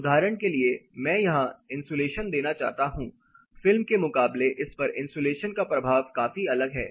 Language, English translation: Hindi, For example, I want to introduce c insulation here the effect of this versus the effect of insulation is considerably different